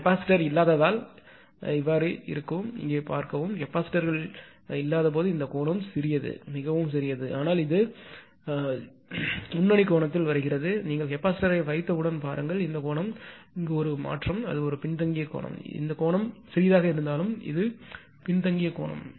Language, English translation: Tamil, Look here because of the capacitor earlier when capacitors was not there all though this angle is very small, but it was coming leading angle, but as soon as you have put the capacitor; look this angle is a change, it is a lagging angle now all though it is small, but it is lagging angle